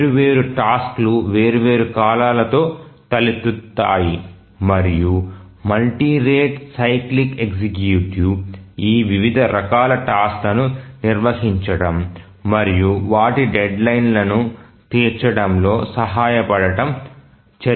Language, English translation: Telugu, different tasks arise with different periods and we will discuss about the multi rate cyclic executive and how does it handle these different types of tasks and help to meet their deadline